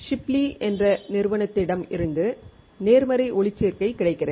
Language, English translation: Tamil, Positive photoresist is available from a company named Shipley